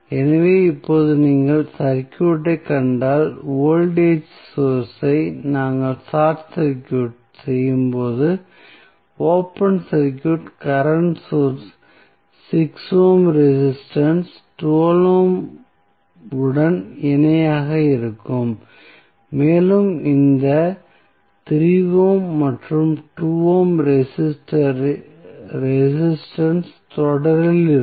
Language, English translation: Tamil, So, now, if you see the circuit, when you short circuit the voltage source, open circuit the current source 6 ohm resistance would be in parallel with 12 ohm and these 3 ohm and 2 ohm resistance would be in series